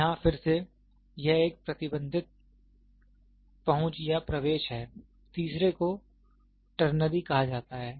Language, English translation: Hindi, Again here, it is also having a restricted restricted access or entry, the third one is called ternary